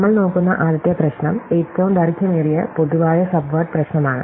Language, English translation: Malayalam, So, the first problem we look is what is called the longest common subword problem